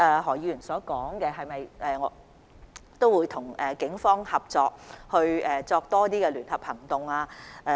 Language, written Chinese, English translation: Cantonese, 何議員問及會否與警方合作進行更多聯合行動。, Mr HO asked if the authorities would cooperate with the Police in conducting more joint operations